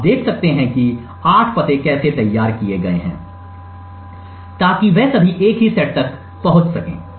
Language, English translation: Hindi, You can see how the 8 addresses are crafted, so that all of them would access exactly the same set